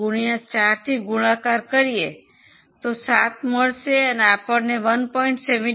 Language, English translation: Gujarati, 75 into 4 you get 7 and 1